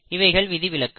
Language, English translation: Tamil, But they are exceptions